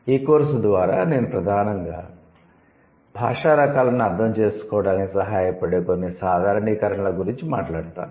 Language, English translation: Telugu, I would through this course I would primarily talk about a few generalizations which would help us to understand language types